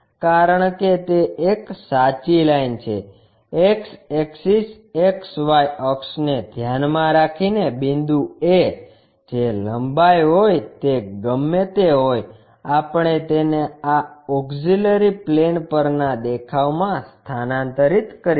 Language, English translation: Gujarati, Because it is a true line, the point a with respect to X axis XY axis whatever that length we have that length we will transfer it to this auxiliary plane view